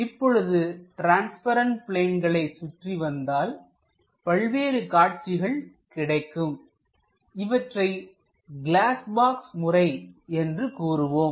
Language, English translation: Tamil, Walk around that transparent planes so that the views whatever we get that what we call glass box method